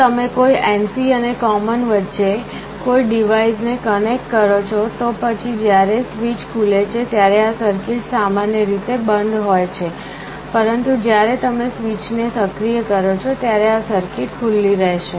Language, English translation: Gujarati, If you connect a device between NC and common, then when the switch is open this circuit is normally closed, but when you activate the switch this circuit will be open